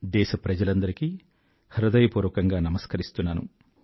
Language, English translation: Telugu, My dear countrymen, Namaskar to all of you